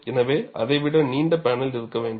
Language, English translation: Tamil, So, you need to have a panel longer than that